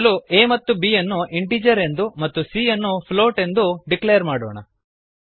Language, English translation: Kannada, We first declare variables a and b as integer and c as float